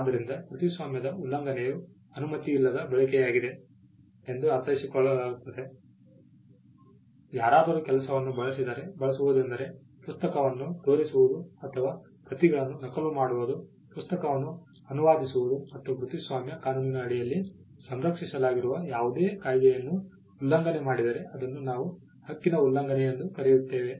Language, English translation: Kannada, So, infringement of a copyright is understood as a use without permission, somebody uses the work uses can be making copies making a play out of the book, it can be translating the book, it can be selling the book any of the acts that are protected under the copyright law if a person does that without the permission of the copyright owner then we call that an infringement